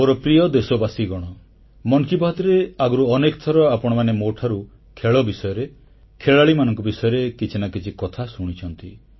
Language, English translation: Odia, My dear countrymen, many a time in 'Mann Ki Baat', you must have heard me mention a thing or two about sports & sportspersons